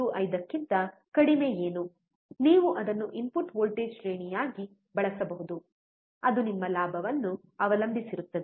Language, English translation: Kannada, 5 only, you can use it as the input voltage range so, that depends on your gain